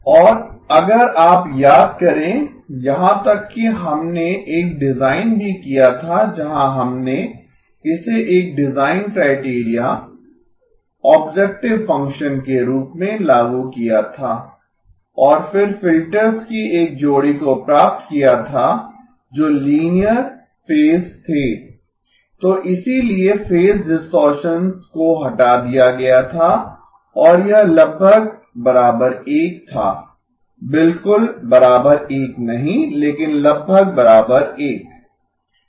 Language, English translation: Hindi, And if you recall we even did a design where we would enforce this as one of the design criteria, objective function and then got a pair of filters which were linear phase, so therefore phase distortion was removed and this one was almost equal to 1, you know not exactly equal to 1 but almost equal to 1